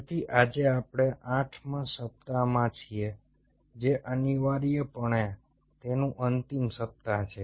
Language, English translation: Gujarati, so today we are into the eighth week, which is, ah, essentially the final week of it